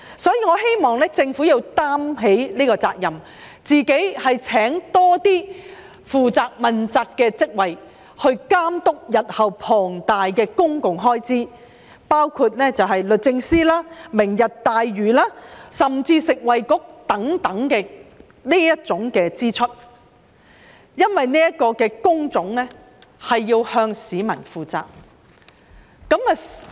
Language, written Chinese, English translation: Cantonese, 所以，我希望政府要承擔這個責任，多聘請自己負責的職位，監督日後龐大的公共開支，包括律政司、"明日大嶼願景"甚至食物及衞生局等的相關支出，因為這些工種是要向市民負責的。, I therefore hope that the Government will shoulder the responsibility increase the number of in - house posts and oversee massive public spending in the future including the relevant spending of the Department of Justice the Lantau Tomorrow Vision and even the Food and Health Bureau . Those who hold these posts must be accountable to the public